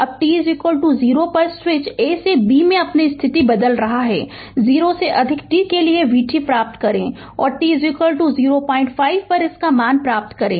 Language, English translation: Hindi, Now, at t is equal to 0, the switch is your changing its position from A to B right, obtain v t for t greater than 0, and obtain its value at t is equal to 0